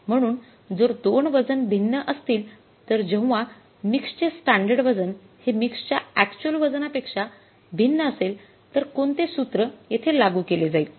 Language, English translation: Marathi, So, if the 2 variants weights are different when the standard weight of the mix is different from the actual weight of the mix